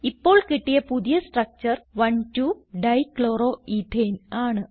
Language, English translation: Malayalam, The new structure obtained is 1,2 Dichloroethane